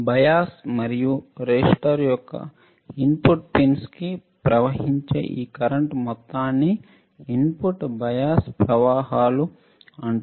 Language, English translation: Telugu, This amount of current that flows into input pins of the bias and resistor are called input bias currents that are called input bias currents